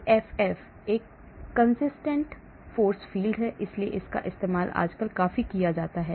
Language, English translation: Hindi, CFF: Consistent Force Field, so this is also used nowadays quite a lot